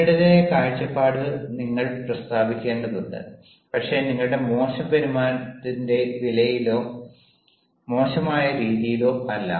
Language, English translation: Malayalam, you have to state your own point of view, but not at the cost of your it ill behaviour or in an ill man, in an ill manner